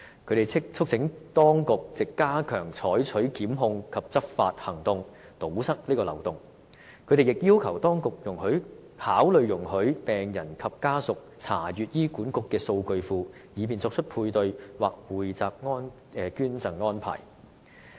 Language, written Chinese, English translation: Cantonese, 他們促請當局藉加強採取檢控及執法行動，堵塞漏洞，同時，他們亦要求當局考慮，容許病人及家屬查閱醫管局的數據庫，以便作出配對或匯集捐贈安排。, They therefore call on the Administration to plug this loophole by stepping up prosecution actions and law enforcement effort . What is more they also ask the authorities to consider allowing patients and their families to access HAs database to enable them to make a paired or pooled donation arrangement